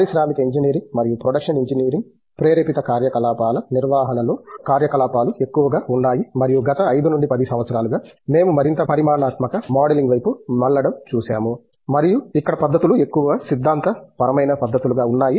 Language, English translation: Telugu, Operations has been more in industrial engineering and production engineering motivated operations management and over the last 5 to 6 years we have seen the shift towards more quantitative modeling and where the methodologies have been more game theoretic methodologies